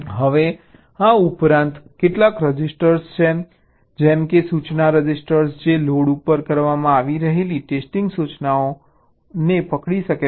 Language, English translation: Gujarati, now in addition, there are some at some, some registers, like an instruction register which can whole the test instruction that is being loaded